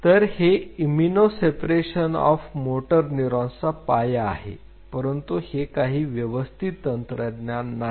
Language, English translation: Marathi, So, this forms the basis of immuno separation of motor neurons is not it a cool technique